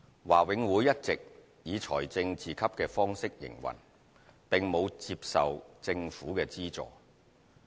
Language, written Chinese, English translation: Cantonese, 華永會一直以財政自給的方式營運，並無接受政府資助。, All along operating on a self - financing basis BMCPC does not receive any government subsidy